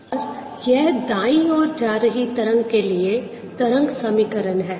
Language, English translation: Hindi, and this is the wave equation for wave that is traveling to the right